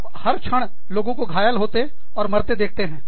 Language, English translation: Hindi, Day in and day out, you see people, getting hurt, and people dying